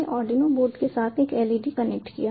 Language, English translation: Hindi, i have connected the arduino board